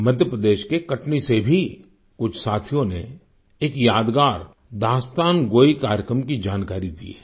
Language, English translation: Hindi, Some friends from Katni, Madhya Pradesh have conveyed information on a memorable Dastangoi, storytelling programme